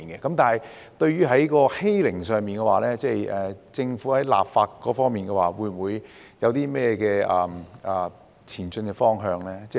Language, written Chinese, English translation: Cantonese, 但是，關於欺凌，政府在立法方面有何前進方向呢？, However what is the Governments way forward for legislating against bullying?